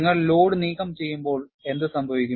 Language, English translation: Malayalam, When you remove the load, what will happen